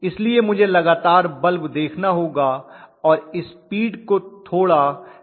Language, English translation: Hindi, So I have to continuously observe the lamp and adjust the speed slightly